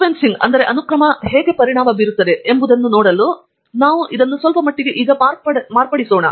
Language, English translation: Kannada, Let me just modify this slightly to see how it will affect the sequencing